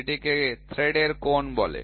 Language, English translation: Bengali, So, it is called as angle of thread